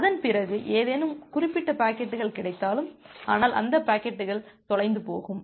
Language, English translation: Tamil, Even if you may get any certain packets after that, but those packets will get lost